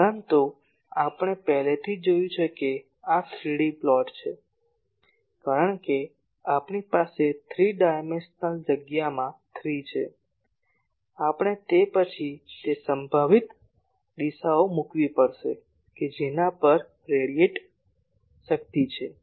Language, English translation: Gujarati, But we have already seen that this will be a 3D plot, because we have 3 that we have 3 in the three dimensional space, we will have to then put that at which all possible directions what is the radiated power